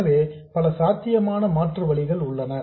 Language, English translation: Tamil, So, there are many possible alternatives